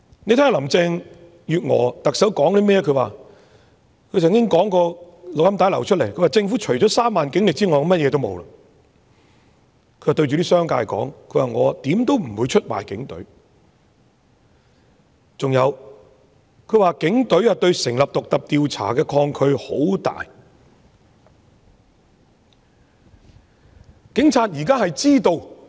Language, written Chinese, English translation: Cantonese, 我們從流出的錄音聲帶聽到她說政府除了3萬警力外便甚麼也沒有，她對在場的商界說她如何也不會出賣警隊，還有她說警隊對成立獨立調查委員會有很大抗拒。, As we have heard from a leaked audio recording she said that the Government has nothing except the 30 000 - strong Police Force . She told the business community on that occasion that under no circumstances would she betray the Police adding that there was strong resistance among the Police towards the setting up of an independent commission of inquiry